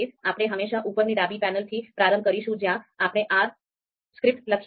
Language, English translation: Gujarati, So always we are going to start from this top left panel where we have written our R script